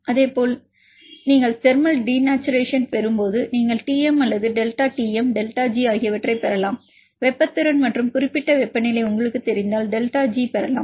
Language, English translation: Tamil, Likewise when you get thermal denaturation you can get the Tm or the delta Tm actually delta G you can if you know the heat capacity and the any particular temperature you can get the delta G